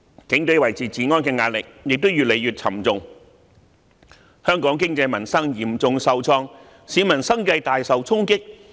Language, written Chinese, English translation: Cantonese, 警隊維持治安的壓力亦越來越沉重，香港經濟民生嚴重受創，市民生計大受衝擊。, These incidents have imposed a heavier burden on the Police in maintaining law and order . Hong Kongs economy and peoples livelihood have been hard hit and incomes of the people have been seriously affected